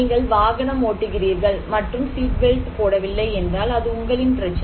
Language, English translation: Tamil, Or if you are driving and not putting seatbelt, this is your problem